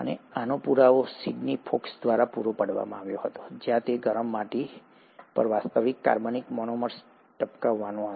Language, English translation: Gujarati, And the proof of this was then supplied by Sydney Fox where he went about dripping actual organic monomers onto a hot clay